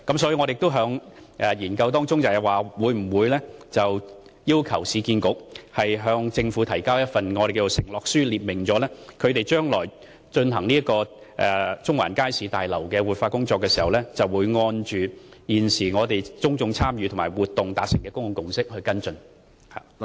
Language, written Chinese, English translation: Cantonese, 所以，我們亦會要求市建局向政府提交一份承諾書，列明將來就中環街市大樓進行活化工作時，會按現時公眾參與活動所達成的公眾共識來跟進各項工作。, Hence we are considering requiring URA to submit a letter of undertaking to the Government setting out that it will base its works on the public consensus reached at the public engagement exercise when it takes forward the revitalization of the Central Market Building